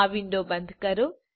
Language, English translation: Gujarati, Close this window